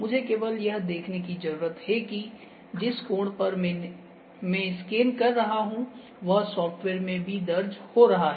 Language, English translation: Hindi, I just need to see that make sure that the angle on which I am scanning is also recorded in the software as well